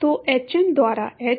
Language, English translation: Hindi, So, hm by h